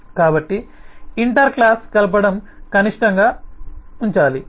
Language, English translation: Telugu, so the inter class coupling is should be kept at a minimum